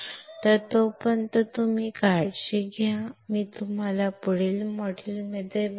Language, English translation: Marathi, So, till then you take care and I will see you in next module